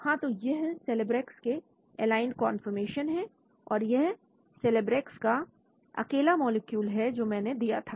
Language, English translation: Hindi, Yeah this is Celebrex various conformations aligned and this is Celebrex alone simple molecule which I had given